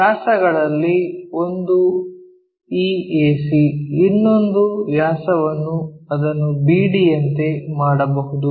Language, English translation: Kannada, One of the diameter is this AC, the other diameter we can make it like BD